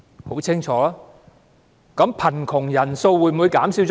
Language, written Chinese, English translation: Cantonese, 那貧窮人口的數目會否減少了？, Then has the poor population decreased?